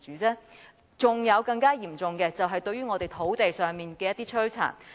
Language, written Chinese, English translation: Cantonese, 還有更嚴重的是，對於我們土地上的摧殘。, Even more serious are the damages done to our land